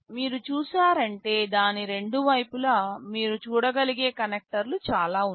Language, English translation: Telugu, If you can see the two sides of it, there are so many connectors you can see